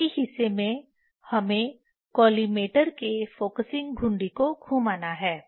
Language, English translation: Hindi, The rest of the part we have to do just rotating the focusing knob of the collimator